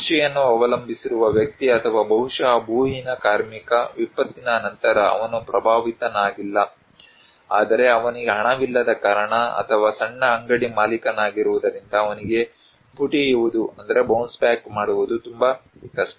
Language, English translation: Kannada, That a person who depends on agriculture or maybe a landless labor, after the disaster, he is not affected, but also it is very difficult for him to bounce back because he has no money or maybe a small shop owner